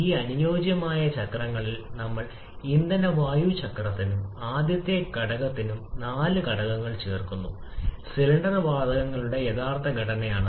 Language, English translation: Malayalam, On these ideal cycles we are adding four factors to have the fuel air cycle and the first factor is the actual composition of cylinder gases